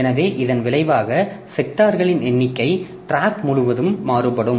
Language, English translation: Tamil, So, as a result, the number of sectors will vary across the tracks